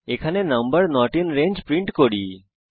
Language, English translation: Bengali, Here we print number not in range